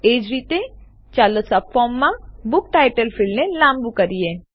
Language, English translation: Gujarati, ltpausegt Similarly, let us lengthen the book title field in the subform